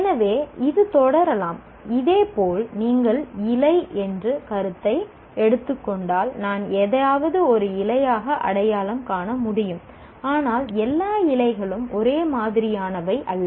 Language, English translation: Tamil, And similarly, if you take the concept of leaf, then I can recognize something as a leaf, but all leaves are not the same